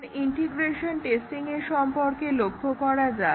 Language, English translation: Bengali, Now, let us look at integration testing